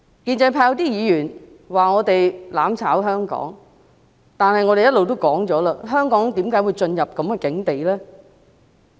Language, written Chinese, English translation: Cantonese, 建制派有些議員說我們"攬炒"香港，但是我們一直說，香港為何會進入如斯境地？, Some Members from the pro - establishment camp say that we subject Hong Kong to mutual destruction but we have been asking why Hong Kong has come to such a pass